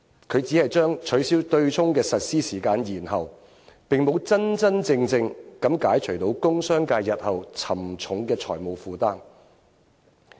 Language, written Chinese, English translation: Cantonese, 他只是將取消對沖的實施時間延後，並沒有真正解除工商界日後沉重的財務負擔。, It simply postpones the implementation of the abolition without really lifting the heavy financial burden to be shouldered by the commerce and industry sector in the future